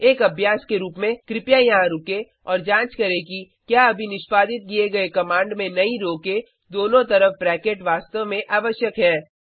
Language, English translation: Hindi, As an exercise, please pause here and check if the brackets around the new row, in the command just executed, are really required